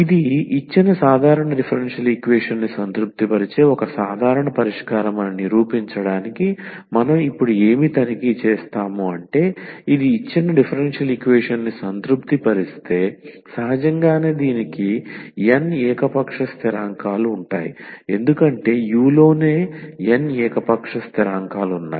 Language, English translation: Telugu, So, what we will check now to prove that this is a general solution that this u plus v satisfies the given differential equation, if this satisfies the given differential equation and then naturally it has n arbitrary constants because u itself has n arbitrary constants